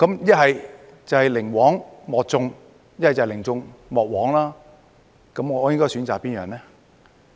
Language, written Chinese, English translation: Cantonese, 一是寧枉莫縱，一是寧縱莫枉，我應該選擇哪樣呢？, Stringency over leniency or leniency over stringency which one should I choose?